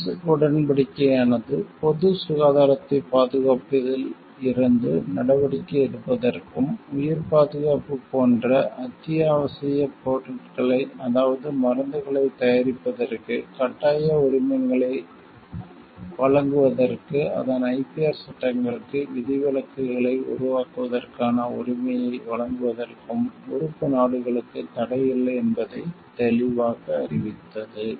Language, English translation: Tamil, The declaration made it clear that TRIPS Agreement does not restricts it member countries to for taking steps from protecting to protect public health and give them the right to create exceptions to its IPR laws to enable to grant compulsory licenses for manufacture of essential goods such as life saving drugs